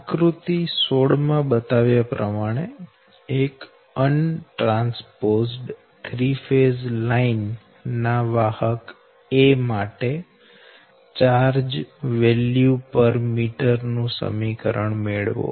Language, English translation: Gujarati, derive an expression for the charge value per meter length of conductor a of an untransposed three phase line, as shown in figure sixteen